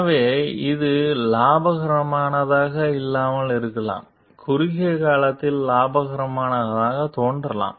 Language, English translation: Tamil, So, this may not be profitable, appear to be profitable in the short term